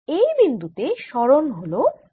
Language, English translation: Bengali, at this point the displacement is y